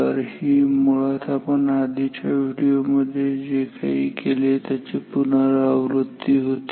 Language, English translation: Marathi, So, this is actually a recapitulation of what we have done in the previous video ok